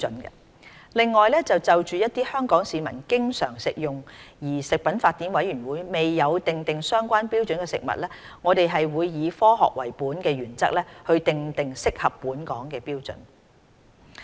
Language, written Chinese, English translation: Cantonese, 此外，就一些香港市民經常食用而食品法典委員會未有訂定相關標準的食物，我們會以"科學為本"的原則訂定適合本港的標準。, Moreover as regards foods frequently consumed by the local population but not covered in the Codex standards we will establish standards appropriate to the local setting in keeping with the science - based principle